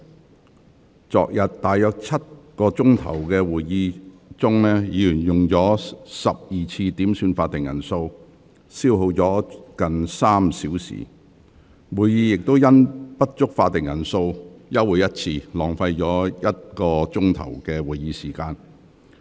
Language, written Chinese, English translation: Cantonese, 在昨日大約7小時的會議中，議員合共要求12次點算法定人數，消耗近3小時，會議更因不足法定人數休會1次，浪費了1小時的議會時間。, During yesterdays meeting which was about seven hours long Members made 12 headcount requests in total wasting almost three hours time . The meeting was even adjourned once due to a lack of quorum which wasted one hour of the meeting time